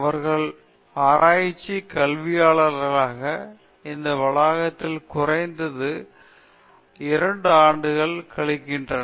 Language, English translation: Tamil, And they have typically spent at least 2 years here in campus as research scholars